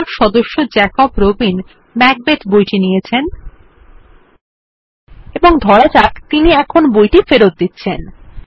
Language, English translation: Bengali, Here we see that the member Jacob Robin has borrowed the book Macbeth, and let us assume now that he is returning the book